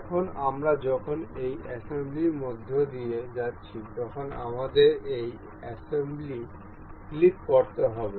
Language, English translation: Bengali, Now when we are going through this assembly we have to click on this assembly and ok